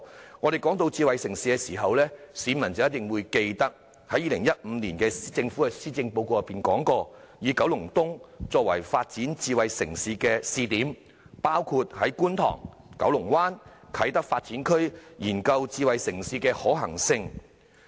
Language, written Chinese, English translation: Cantonese, 當我們談到智慧城市時，市民必定記得政府在2015年的施政報告中提出，以九龍東作為發展智慧城市的試點，包括在觀塘、九龍灣及啟德發展區研究智慧城市的可行性。, When we talk about smart city members of the public will definitely remember that the Government proposed in the 2015 Policy Address making Kowloon East including Kwun Tong Kowloon Bay and the Kai Tak Development Area a pilot area to explore the feasibility of developing a smart city